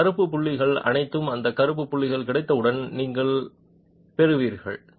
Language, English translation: Tamil, All those black dots are what you will get